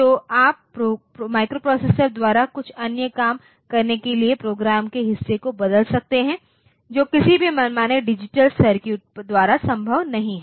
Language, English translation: Hindi, So, you can change the program part to get some other job done by the microprocessor which is not possible by any arbitrary digital circuit